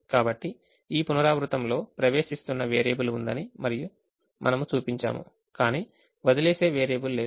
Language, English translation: Telugu, so in this iteration we showed that there is an entering variable but there is no leaving variable